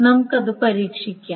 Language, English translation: Malayalam, Let us test it